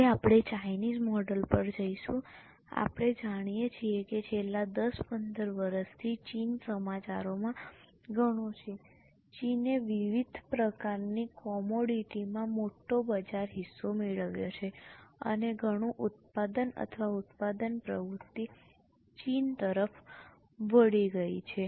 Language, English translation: Gujarati, We know that for last 10, 15 years, China is a lot in news and China has acquired major market share in various types of commodities, lot of production or manufacturing activity has shifted to China